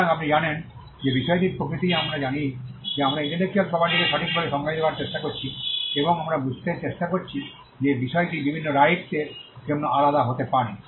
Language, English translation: Bengali, So, the nature of the subject matter you know we are trying to define intellectual property right and we are trying to understand that the subject matter can be different for different rights